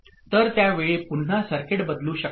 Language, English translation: Marathi, So at that time again circuit can change